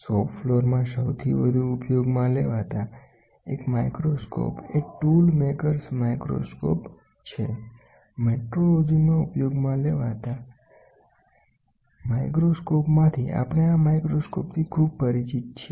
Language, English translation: Gujarati, The most commonly used one microscope in the shop floor is Tool Maker’s Microscope, among the microscope used in metrology, we are most familiar with the tool maker’s microscope